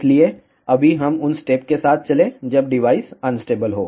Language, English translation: Hindi, So, right now let us go with the steps when the device is unstable